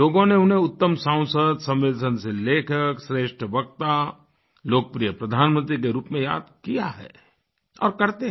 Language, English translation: Hindi, People remembered him as the best member of Parliament, sensitive writer, best orator and most popular Prime Minister and will continue to remember him